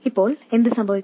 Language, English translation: Malayalam, What happens now